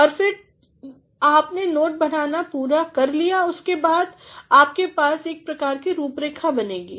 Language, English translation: Hindi, And, then after you have completed your note making, you are supposed to create a sort of outline